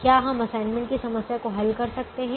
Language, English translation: Hindi, can we solve an assignment problem now